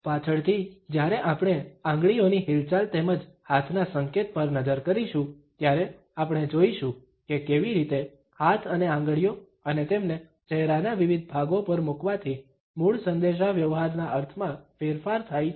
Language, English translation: Gujarati, Later on, when we would look at the finger movements as well as hand gestures, we would look at how hands and fingers and their placing on different parts of our face modify the originally communicated meaning